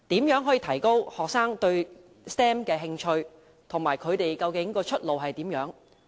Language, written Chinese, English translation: Cantonese, 如何提高學生對 STEM 的興趣，以及他們相關的出路為何？, How can students interest in STEM be stimulated? . What are the prospects of studying STEM?